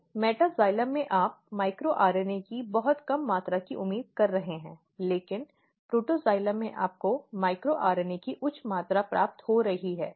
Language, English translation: Hindi, So, in metaxylem what you are expecting very low amount of micro RNA, but in in protoxylem you are having high amount of micro RNA